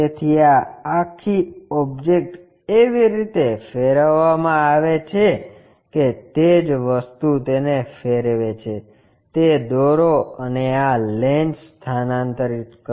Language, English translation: Gujarati, So, this entire object is rotated in such a way that the same thing rotate it, draw it, and transfer this lens